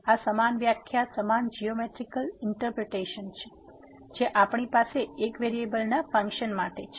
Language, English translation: Gujarati, So, this is the same definition same geometrical interpretation as we have for the function of one variable